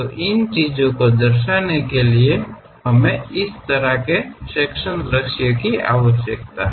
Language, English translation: Hindi, To represent that, we require this kind of sectional views